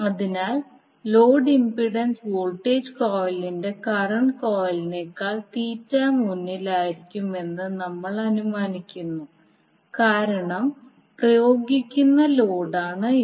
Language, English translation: Malayalam, So we assume that the load impedance will cause the voltage coil lead its current coil by Theta because this is the load which is applied